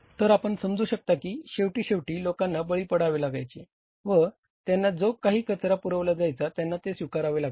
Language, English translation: Marathi, So, you can understand that means ultimately people have to fall prey and they have to accept what garbage is being supplied to them